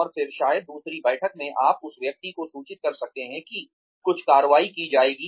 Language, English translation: Hindi, And then, maybe in a second meeting, you can inform the person, that some action will be taken